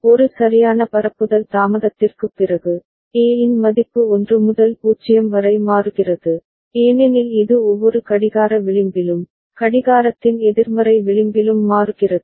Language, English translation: Tamil, And after one proper propagation delay, A;s value is changing from 1 to 0, because it is toggling in every clocking edge, negative edge of the clock right